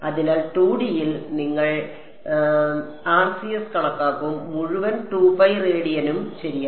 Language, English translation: Malayalam, So, in 2 D you would calculate the RCS over and entire 2 pi radians ok